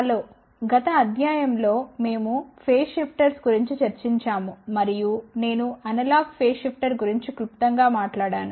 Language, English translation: Telugu, Hello in the last lecture we had discussed about Phase Shifters and I had briefly talked about Analog Phase Shifter